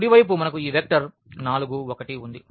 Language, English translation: Telugu, The right hand side we have this vector 4 and 1